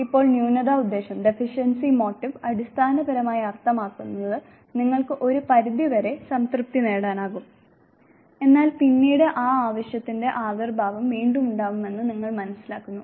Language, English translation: Malayalam, Now deficiency motive basically means that you are able to satisfy to certain extent, but then you realize that there is reappearance of that reignite